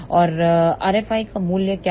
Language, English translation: Hindi, And what is the value of r F i